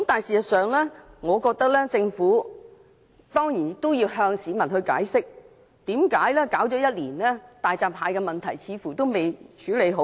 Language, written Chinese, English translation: Cantonese, 事實上，我認為政府要向市民解釋，為何大閘蟹的問題已處理了1年，卻似乎仍未處理好。, In fact I believe the Government should explain to the public why the issue of hairy crabs is still not settled a year down the line